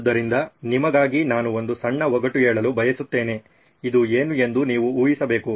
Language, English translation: Kannada, So I want to have a short puzzle for you, you have to guess what this is